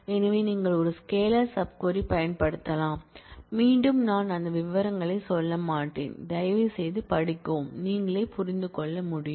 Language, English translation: Tamil, So, you can use a scalar sub query, again I would not go through that details please study and you will be able to understand